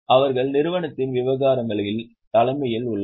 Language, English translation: Tamil, They are at the helm of affairs of company